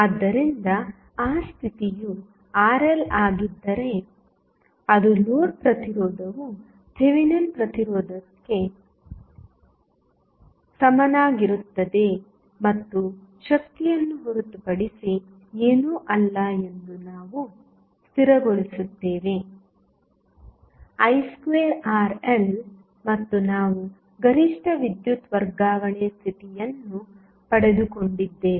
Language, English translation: Kannada, So, that condition comes when Rl that is the load resistance is equal to Thevenin resistance and we stabilize that the power is nothing but I square Rl and we derived the maximum power transfer condition